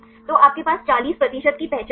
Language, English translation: Hindi, So, you have a 40 percent identity